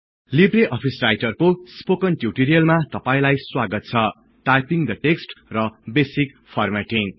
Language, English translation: Nepali, Welcome to the Spoken tutorial on LibreOffice Writer – Typing the text and basic formatting